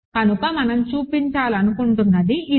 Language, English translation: Telugu, So, this is what we wanted to show